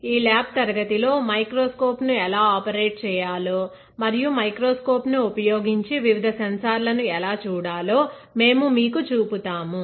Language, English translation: Telugu, In this lab class, we will be showing it to you how to operate a microscope and look at various sensors using the microscope, all right